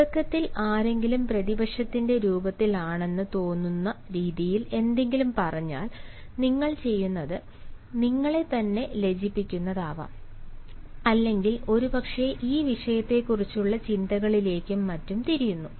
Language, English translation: Malayalam, if just in the beginning somebody said something which you feel is in the form of an opposition, what you do is you raise your question, which may be very embarrassing, or perhaps simply turn to thoughts and support our feelings on the subject at hand